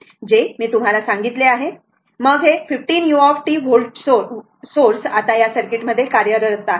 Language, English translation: Marathi, That I told you, then this 15 u t volt source is now operative in the circuit it is like this